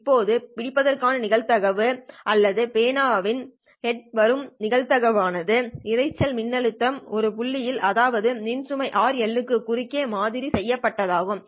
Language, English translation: Tamil, I can only talk about the probability of catching or the probability of the head showing up or the probability that the noise voltage at the point where we have sampled across a load resistor rl is greater than 3